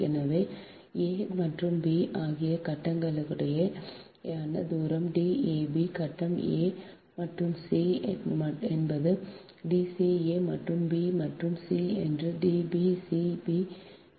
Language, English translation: Tamil, so distance between the phase a and b is d a, b, ah, phase a and c is d, c, a and b and c is d b, c, d, b, c, right, so now that d a, b, d b, c, d, c, a are different